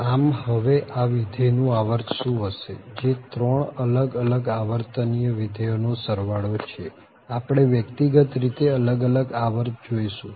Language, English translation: Gujarati, So, what is the period here for this function which is sum of the 3 different periodic functions, so the period we will look individually first